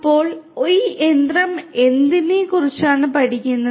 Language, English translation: Malayalam, So, what is this machine learning all about